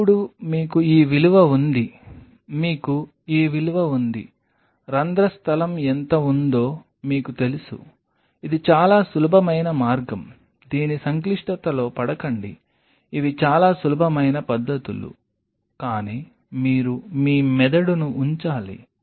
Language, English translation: Telugu, Now, you have this value, you have this value you know how much is the pore space this is the simplest way how one calculates do not fall into the complexity of it these are very simple techniques, but you just have to put your brain in place to figure them out